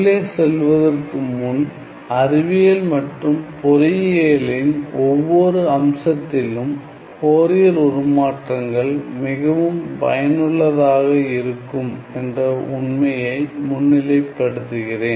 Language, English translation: Tamil, So, before I move on let me just highlight the fact that Fourier transforms are quite useful, of course, in almost every aspect of science and engineering